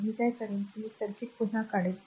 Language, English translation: Marathi, So, what I will do I will redraw the circuit